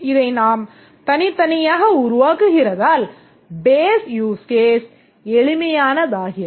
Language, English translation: Tamil, We develop this separately, develop this separately and therefore the base use case becomes simple